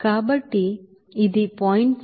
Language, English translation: Telugu, So it will be as 0